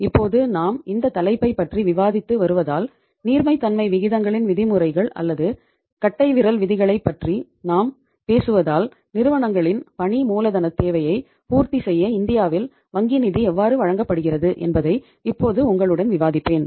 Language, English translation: Tamil, Now because we are discussing this topic and we are talking about the norms or the rules of thumb of the liquidity ratios so now I will uh discuss with you that how the bank finance is provided in India to fulfill the working capital requirement of the firms